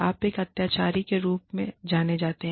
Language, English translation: Hindi, You are known as a tyrant